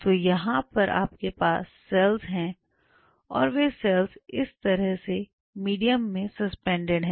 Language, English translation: Hindi, So, here you have the cells and cells are suspended in a medium like this